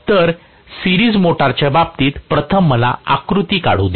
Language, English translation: Marathi, So, in the case of series motor, let me first of all draw the diagram